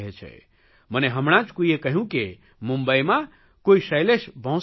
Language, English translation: Gujarati, Someone just told me that there is one Shailesh Bhosle in Mumbai